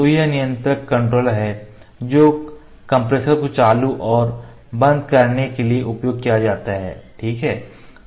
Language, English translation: Hindi, So, this is the controller; this is the controller that is used to switch on and off the compressor, ok